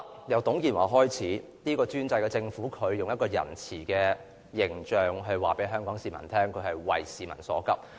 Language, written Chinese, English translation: Cantonese, 由董建華開始，這個專制的政府以仁慈的形象告知香港市民，它是急市民所急。, During the time of TUNG Chee - hwa this autocratic government started to wear a mask of kindness telling Hong Kong people that their concerns were also its concerns